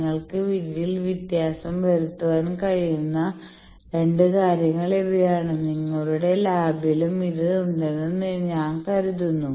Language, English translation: Malayalam, So, those are the 2 things that you can vary in this I think in your lab also you have this